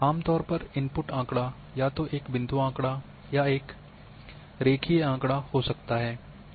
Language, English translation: Hindi, So, in generally the input data can either be a point data or even line data